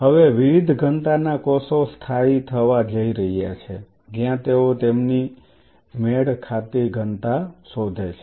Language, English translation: Gujarati, Now the cells of different densities are going to settle down where they find their matching density